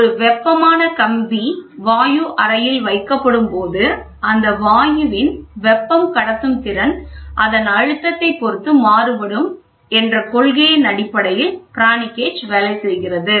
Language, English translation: Tamil, The principle on which a Pirani gauge work is thus when a heated wire is placed in the chamber of gas, thermal conductivity of the gas depends on it is pressure